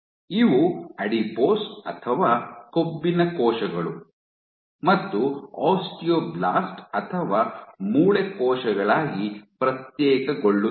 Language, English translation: Kannada, These guys are known to differentiate into adipose or fat cells as well as osteoblast or bone cells